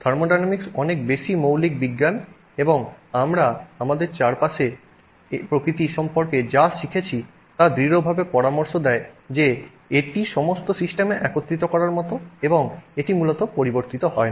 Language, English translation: Bengali, Thermodynamics is a much more fundamental science and I mean everything we have learned about the nature around us strongly suggests that this is like you know sort of a unifying aspect of across all systems and it doesn't fundamentally change